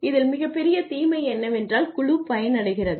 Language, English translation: Tamil, So, the biggest disadvantage in this is that the team gets benefited